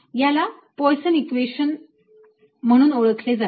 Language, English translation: Marathi, this is known as the poisson equation